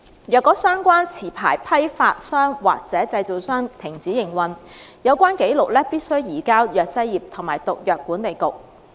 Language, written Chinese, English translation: Cantonese, 若相關持牌批發商或製造商停止營運，有關紀錄必須移交藥劑業及毒藥管理局。, If the licensed wholesale dealer or manufacturer ceased to operate the records must be transferred to the Pharmacy and Poisons Board